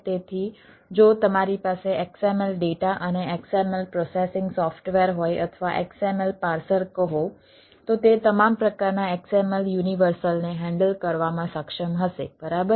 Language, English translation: Gujarati, so if you have a xml data and xml processing software or, say, xml parser, it will be able to handle all sort of xml university, right, so that is